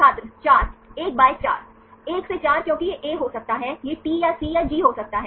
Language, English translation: Hindi, 4, 1 by 4 1 by 4 because it can be A, it could be the T or C or G